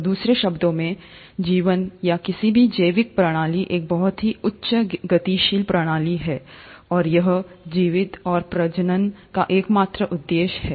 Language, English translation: Hindi, So in other words, life or any biological system is a very highly dynamic system, and it has it's sole purpose of surviving and reproducing